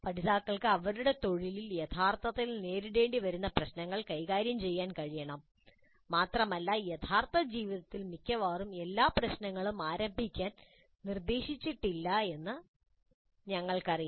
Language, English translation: Malayalam, Learners must be able to deal with this kind of problems that they will actually encounter in their profession and we know that in their life almost all the problems are ill structured to begin with